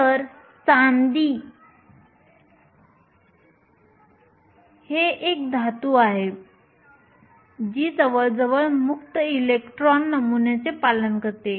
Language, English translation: Marathi, So, silver is a metal which obeys nearly free electron model